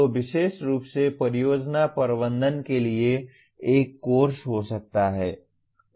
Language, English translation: Hindi, So there may be a course exclusively for project management